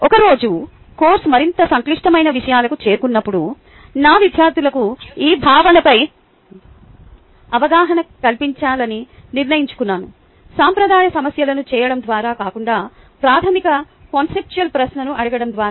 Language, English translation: Telugu, one day, when the course had progressed to more complicated material, i decided to test my students understanding of this concept, not by doing traditional problems, but by asking them a set of basic conceptual questions